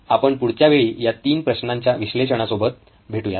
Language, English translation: Marathi, We will see you next time with the analysis of these 3 problem